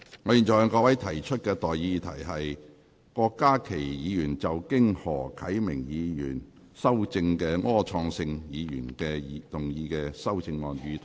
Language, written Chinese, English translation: Cantonese, 我現在向各位提出的待議議題是：郭家麒議員就經何啟明議員修正的柯創盛議員議案動議的修正案，予以通過。, I now propose the question to you and that is That the amendment moved by Dr KWOK Ka - ki to Mr Wilson ORs motion as amended by Mr HO Kai - ming be passed